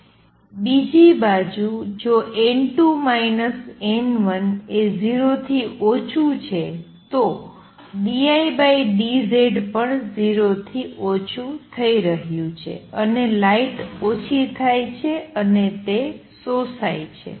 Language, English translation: Gujarati, On the other hand if n 2 minus n 1 is less than 0 d I by d Z is going to be less than 0 and the light gets diminished it gets absorbed